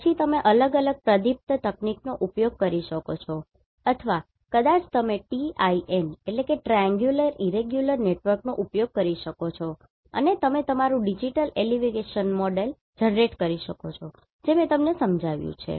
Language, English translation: Gujarati, Then you can use different interpolation technique or maybe you can use the TIN and you can generate your digital elevation model that I have explained you in GIS lecture